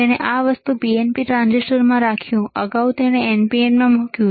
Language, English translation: Gujarati, He kept this thing, the transistor in PNP, earlier he placed in NPN